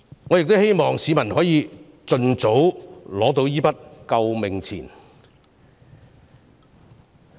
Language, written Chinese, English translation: Cantonese, 我希望市民可以盡早收到這筆"救命錢"。, I hope that people can receive the life - saving money very soon